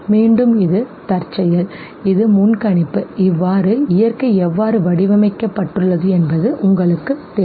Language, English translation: Tamil, What is this, again this is contingency, this is predictability you know that this is how nature is designed